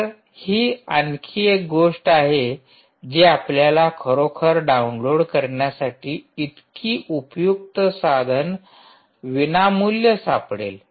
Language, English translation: Marathi, alright, so this is another thing that you can actually find so very useful tool, free to download